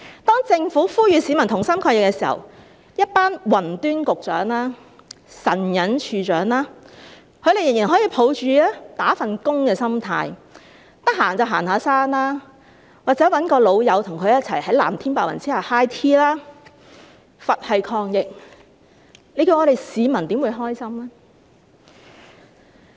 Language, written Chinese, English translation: Cantonese, 當政府呼籲市民同心抗疫時，一群"雲端"局長及"神隱"署/處長，他們仍然可以抱持"打份工"的心態，閒時就行山，或找朋友在藍天白雲下 high tea， 是佛系抗疫，我們的市民又怎會感到高興呢？, When the Government was appealing to the public to stay together in fighting the virus a group of cloud Secretaries and missing Directors with a typical employee mindset could still go hiking and enjoy high tea with their friends leisurely under the blue sky and white clouds . When they fight the virus in such a passive way how can the public be delighted?